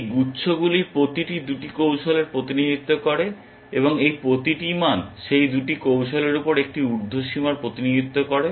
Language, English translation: Bengali, Each of these clusters represents 2 strategies, and each of these values represents an upper bound on those 2 strategies